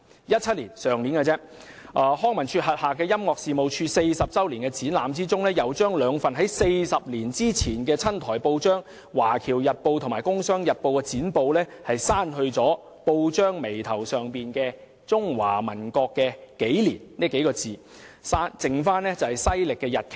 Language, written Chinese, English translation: Cantonese, 在去年的2017年，康文署轄下的音樂事務處40周年展覽把兩份40年前的親台報章——《華僑日報》及《工商日報》——剪報上報眉部分的中華民國國曆刪除，只餘下西曆日期。, In an exhibition on the 40 anniversary of the Music Office under LCSD last year the dates based on the Republic of China calendar at the top of the relevant newspaper clippings taken from two pro - Taiwan newspapers 40 years ago―Overseas Chinese Daily News and The Kung Sheung Daily News―were removed leaving behind only the corresponding Gregorian Calendar dates